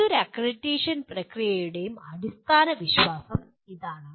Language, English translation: Malayalam, That is the underlying belief of any accreditation process